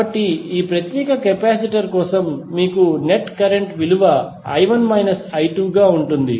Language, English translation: Telugu, So, for this particular capacitor you will have net current as I 1 minus I 2